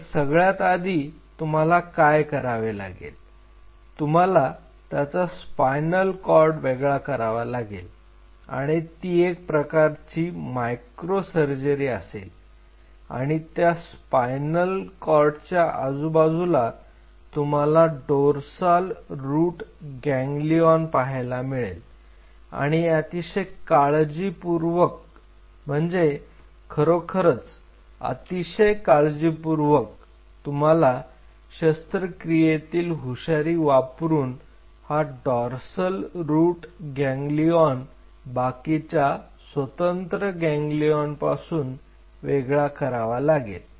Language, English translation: Marathi, Now first thing what you have to do is you have to isolate the spinal cord and this has to be a micro surgery and around the spinal cord you will see this dorsal root ganglion sitting and very carefully extremely carefully you have to using your surgical acumen you have to isolate these dorsal root ganglia separately these are individual ganglions